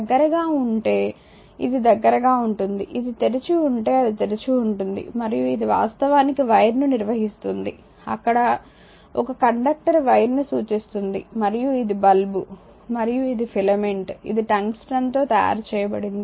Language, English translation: Telugu, If you close, this which will be close, if it is open it is open and this is actually conducting wire there is a conductor represent wire and this is the lamp and this is the filament say it is a made of tungsten right